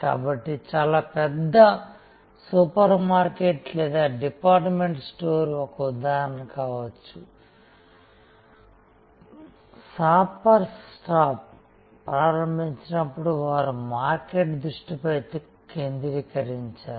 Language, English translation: Telugu, So, a very large supermarket or department store can be an example, shoppers stop when they started they were sort of market focused